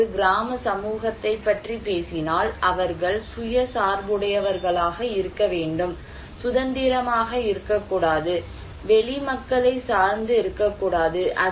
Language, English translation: Tamil, If we are talking about a village community, there should be self dependent, not independent, not depend to external people